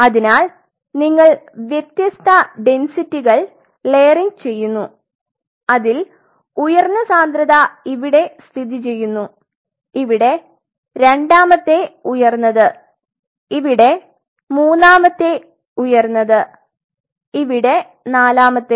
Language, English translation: Malayalam, So, you are layering different densities where the highest density is lying here second highest here third highest here forth